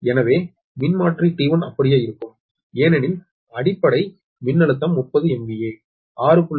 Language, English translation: Tamil, so transformer t one will remain same, because base voltage are thirty m v a, six point six k v